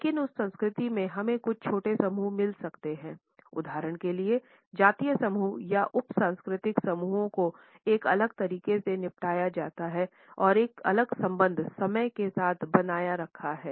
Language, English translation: Hindi, But within that culture we may find some smaller groups for example, ethnic groups or sub cultural groups who are disposed in a different manner and have retained a different association with time